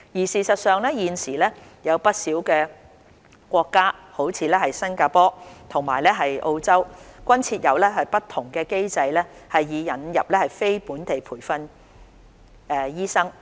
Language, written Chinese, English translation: Cantonese, 事實上，現時有不少國家，如新加坡及澳洲，均設有不同機制以引入非本地培訓醫生。, In fact many countries such as Singapore and Australia currently have different mechanisms to attract NLTDs